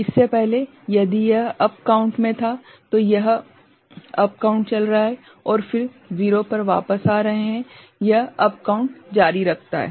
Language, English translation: Hindi, Earlier, if it was up count then it is going on, up count and then coming back to 0 again, it continues to up count right